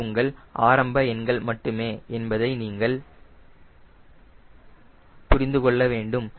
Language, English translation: Tamil, please understand, these are your starting numbers